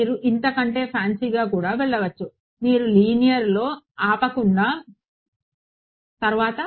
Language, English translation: Telugu, You can even go fancier than this, why stop at linear you can also